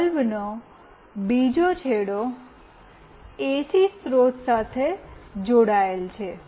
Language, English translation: Gujarati, The other end of the bulb is connected to the AC source